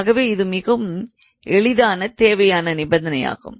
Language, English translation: Tamil, So, it is very easy so necessary condition this implication